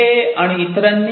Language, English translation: Marathi, So, Dey et al